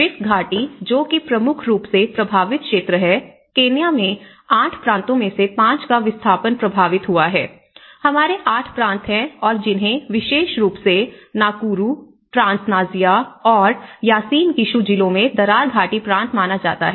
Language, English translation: Hindi, In the Rift Valley which is the majorly affected area, displacement affected 5 of Kenyaís 8 provinces, in Kenya, we have 8 provinces and which has been considered the Rift Valley Province particularly in Nakuru, Trans Nzoia and Uasin Gishu districts